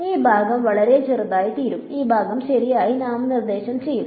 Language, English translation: Malayalam, So, this part is going to become very small and this part will nominate right